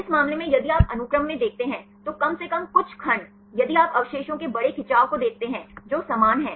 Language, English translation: Hindi, In this case if you look in the sequence, at least some segments, if you see the large stretch of residues which are the same